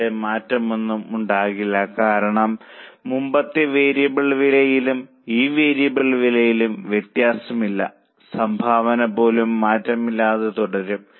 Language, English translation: Malayalam, There will not be any change here because there is no difference in the earlier variable cost and this variable cost